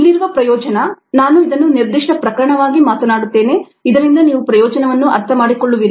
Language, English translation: Kannada, let me talk of this as specific case so that you will understand the advantage here